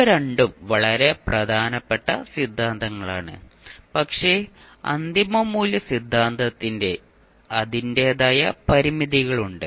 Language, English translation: Malayalam, So these two are very important theorems but the final value theorem has its own limitation